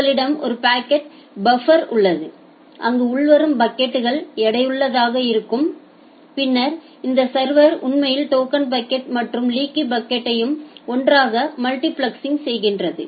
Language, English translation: Tamil, And you have a packet buffer where the incoming packets are weighted keeping weighted and then this server it actually multiplex the token bucket and the leaky bucket all together